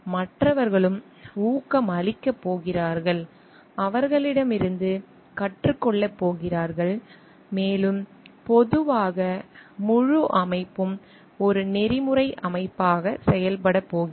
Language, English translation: Tamil, And others are also going to get encouraged and learn from them and slowly the whole organization is going to function like an ethical organization